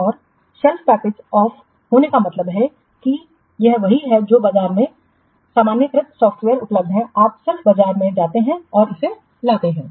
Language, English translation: Hindi, And of the self package means just it is what generalized software are available in the market, you just go to the market and but as it is